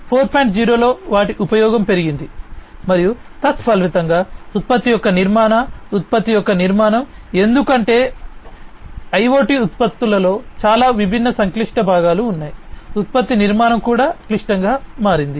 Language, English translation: Telugu, 0 has increased and consequently the structure of the product the building of the product, because there are so many different complex components in these different products IoT products that the product structure has also become complex